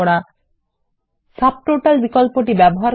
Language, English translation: Bengali, How to use Subtotals